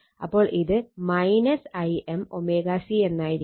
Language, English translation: Malayalam, So, it is minus Im omega C